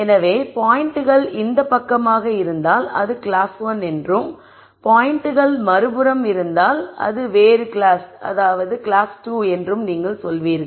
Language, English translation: Tamil, So, you would say if the points are to this side it is 1 class and if the points are to the other side it is another class